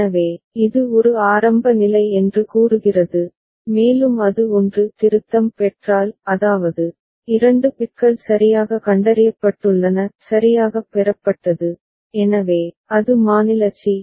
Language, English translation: Tamil, So, it is going back to state a that is initial state and if it receives 1 ; that means, two bits have been detected properly; received properly, so, that is state c